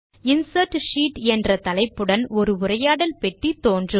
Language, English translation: Tamil, A dialog box opens up with the heading Insert Sheet